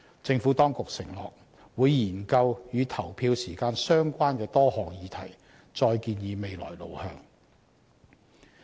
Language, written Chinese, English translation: Cantonese, 政府當局承諾會研究與投票時間相關的多項議題，再建議未來路向。, The Administration promised to propose the way forward after conducting studies on the various issues related to polling hours